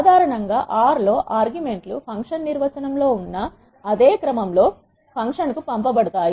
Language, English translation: Telugu, Generally in R the arguments are passed to the function in the same order as in the function definition